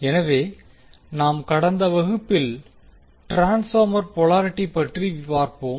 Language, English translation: Tamil, So in last class we were discussing about the transformer polarity